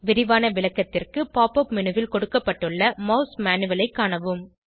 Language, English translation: Tamil, For a detailed description, refer to the Mouse Manual provided in the Pop up menu